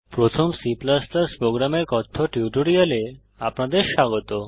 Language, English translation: Bengali, Welcome to the spoken tutorial on First C++ program